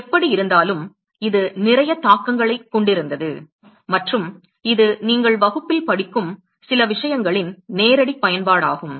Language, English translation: Tamil, Any way so, it had a lot of implications and it is a direct application of some of the things that your studying in the class